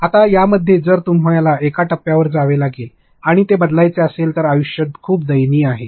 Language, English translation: Marathi, Now, in that if you have to go to one step and change it, life is be very very miserable